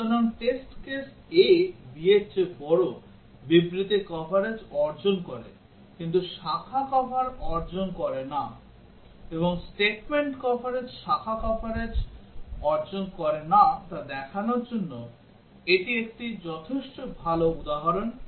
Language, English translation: Bengali, So the test case a greater than b, achieves statement coverage, but does not achieve branch cover, and this is a good enough example to show that statement coverage does not achieve branch coverage